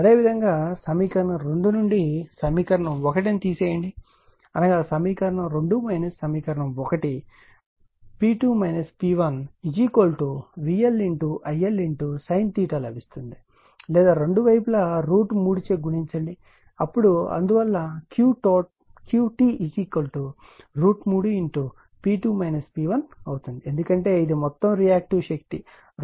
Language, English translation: Telugu, Similarly, if you subtract equation 1 from equation 2 right; that is, equation 2 minus equation 1, you will get P 2 minus P 1 is equal to V L I L sin theta right or if, you multiply both side by root 3 then root 3 V L I L sin theta is equal to root 3 into P 2 minus P, minus P 1 right